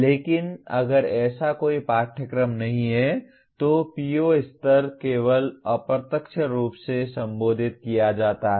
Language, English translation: Hindi, But if there is no such course, the PO level only gets addressed possibly very indirectly